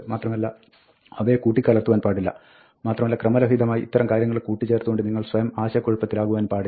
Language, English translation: Malayalam, And do not mix it up, and do not confuse yourself by combining these things randomly